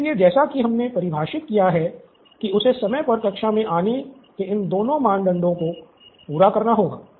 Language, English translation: Hindi, So, the conflict as we have defined it is that he has to satisfy both these criteria of coming to class on time